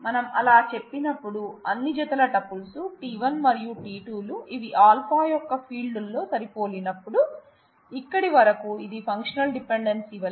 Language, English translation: Telugu, When there are for all pairs of tuples t 1 and t 2 such that they match on the fields of alpha, this till this point it looks like functional dependencies